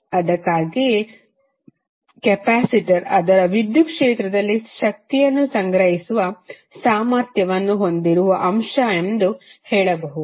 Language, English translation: Kannada, So that is why you can say that capacitor is element capacitance having the capacity to store the energy in its electric field